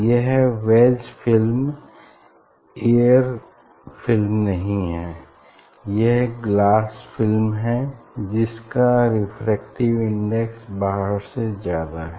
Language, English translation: Hindi, if it is not air film wedge film, if it is some glass film refractive index is higher than this here outside